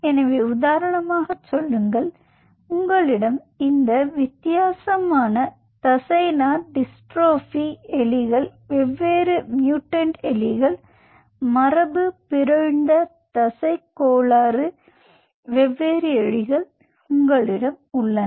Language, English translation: Tamil, so say, for example, you have this different kind of muscular dystrophy, mice, different mutant, mice mutants, muscle disorder